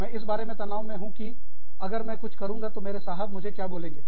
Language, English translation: Hindi, I am stressed about, what my boss will say, if i do something